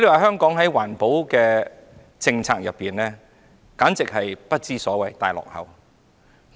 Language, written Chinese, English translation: Cantonese, 香港的環保政策簡直是不知所謂，是大落後。, The environmental policies in Hong Kong are mere nonsense significantly lagging behind others